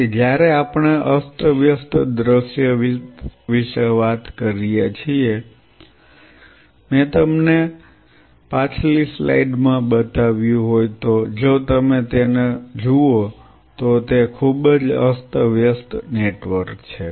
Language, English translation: Gujarati, So, when we talk about a random scenario, what I showed you in the previous slide if you look at it is a very random network